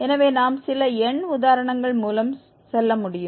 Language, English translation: Tamil, So, we can go through the some numerical examples